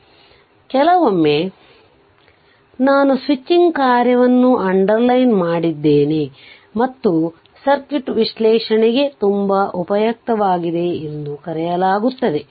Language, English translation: Kannada, So, sometimes it is called all I have underlined the switching function and very useful for circuit analysis right